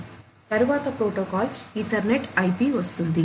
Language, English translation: Telugu, Next comes a protocol Ethernet/IP